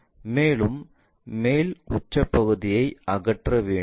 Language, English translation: Tamil, And, the top apex part has to be removed